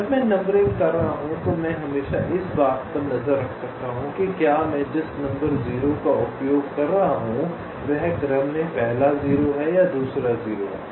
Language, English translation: Hindi, when i am doing the numbering, i can always keep track of whether the number zero that i am using is the first zero or or the second zero in the sequence